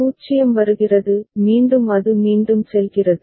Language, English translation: Tamil, 0 comes, again it goes back to a